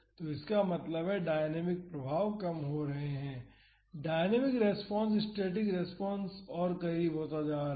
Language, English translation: Hindi, So; that means, the dynamic effects are reducing, the dynamic response is becoming closer to the static response